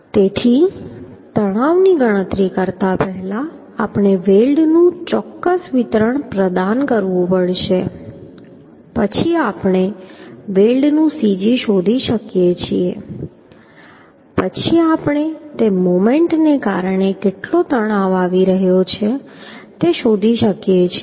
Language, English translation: Gujarati, So before calculating the stress we have to provide certain distribution of the weld then we can find out the cg of the weld then we can find out the stress how much it is coming due to moment